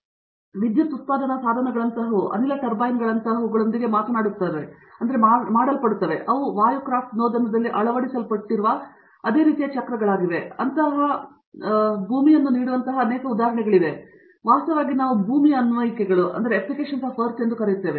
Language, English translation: Kannada, So, things like power generation devices electricity generation can be done with things like gas turbines, which are also the same kind of cycles that are adopted in air craft propulsion and there are many such examples that we can give of terrestrial, what we call as terrestrial applications actually